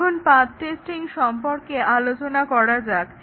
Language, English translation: Bengali, Now, let us look at path testing